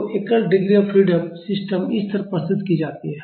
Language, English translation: Hindi, So, a single degree of freedom system is represented like this